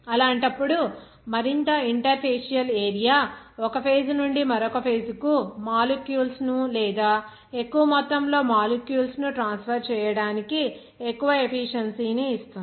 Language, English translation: Telugu, In that case, the more interfacial area will give you that more efficiency to transfer of molecules or more amount of molecules from one phase to another phase